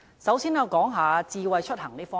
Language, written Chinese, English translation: Cantonese, 首先，我想談一談智慧出行。, First of all I would like to say a few words on smart mobility